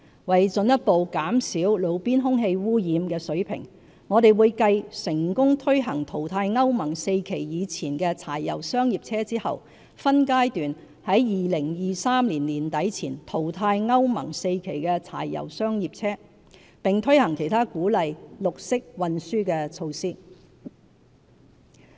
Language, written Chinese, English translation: Cantonese, 為進一步減少路邊空氣污染物的水平，我們會繼成功推行淘汰歐盟 IV 期以前的柴油商業車後，分階段在2023年年底前淘汰歐盟 IV 期的柴油商業車，並推行其他鼓勵綠色運輸的措施。, To further bring down roadside air pollutant levels we will following the successful phasing out of pre - Euro IV diesel commercial vehicles progressively phase out Euro IV diesel commercial vehicles by the end of 2023 and implement other measures to encourage green transport